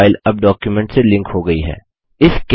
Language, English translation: Hindi, The image file is now linked to the document